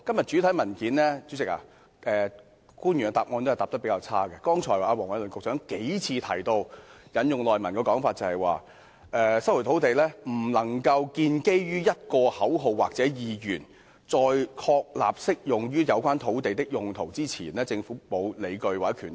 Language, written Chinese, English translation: Cantonese, 主席，官員的答覆比較差，我引述剛才黃偉綸局長的主體答覆："引用《收回土地條例》不可能建基於一個口號或意願；在確立適用於有關土地的'公共用途'之前，政府並無理據及權力......, President the answer given by the official is highly undesirable . Let me quote Secretary Michael WONGs main reply just now the invocation of LRO cannot be possibly based on a slogan or an intention . The Government has no justification and power to resume private land before the relevant public purpose has been established